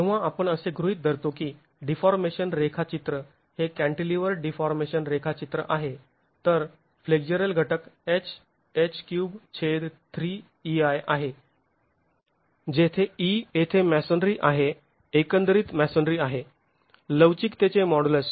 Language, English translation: Marathi, When we assume that the deformation profile is a cantilever deformation profile, the flexual component is the lateral force H into H by 3EI divided by 3EI, HQ by 3EI, where E here is the masonry, overall masonry modulus of elasticity